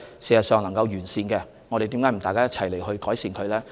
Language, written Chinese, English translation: Cantonese, 如果能完善，為何大家不一起去改善？, Why do we not work together to improve the arrangements if they can be improved?